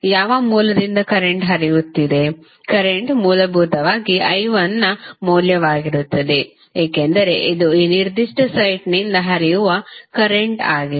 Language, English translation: Kannada, Current would be essentially the value of I 1 because this is the current which is flowing from this particular site